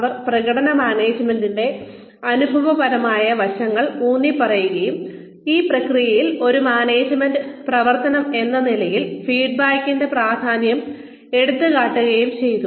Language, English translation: Malayalam, And they, who emphasized the experiential aspects of performance management, and highlighted the importance of feedback, as a management activity, in this process